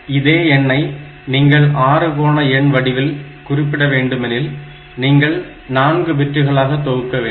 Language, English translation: Tamil, The same number if you want to represent in hexadecimal form then you have to take 4 bit group, this is one 4 bit group